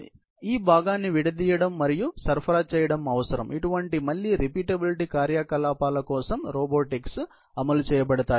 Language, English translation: Telugu, So, this component need to be destalked and supplied for which again, repetitive operations and robotics is deployed